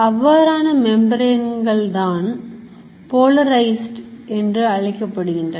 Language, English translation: Tamil, Such a membrane is called polarized